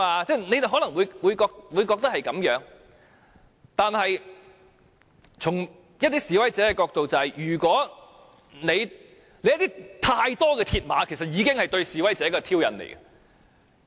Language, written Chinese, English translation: Cantonese, 大家可能也贊同這種看法，但從一些示威者的角度，過多鐵馬就是對示威者的挑釁。, We may agree to this argument . Nevertheless from the viewpoint of some protesters placing too many mills barriers at the scene is already a provocation to them